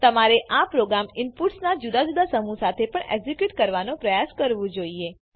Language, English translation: Gujarati, You should try executing the program with different sets of inputs too